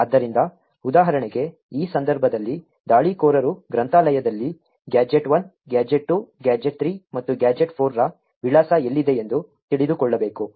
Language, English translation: Kannada, So, for example, over here in this case the attacker would need to know where the address of gadgets1, gadget2, gadget3 and gadget4 are present in the library